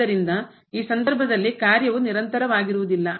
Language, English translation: Kannada, So, in this case the function is not continuous